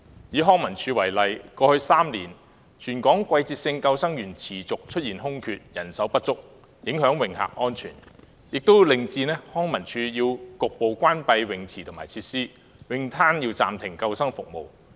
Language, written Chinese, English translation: Cantonese, 以康樂及文化事務署為例，過去3年，全港季節性救生員持續出現空缺和人手不足的情況，不但影響泳客安全，更令康文署須局部關閉泳池和有關設施，而泳灘亦須暫停提供救生服務。, Taking the Leisure and Cultural Services Department LCSD as an example the continued existence of vacancies and shortfall of seasonal lifeguards in Hong Kong over the past three years have not only affected the safety of swimmers but also caused partial closure of swimming pools and related facilities by LCSD while life - saving services at bathing beaches had to be suspended